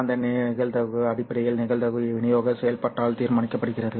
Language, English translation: Tamil, And that likelihood is essentially determined by the probability distribution function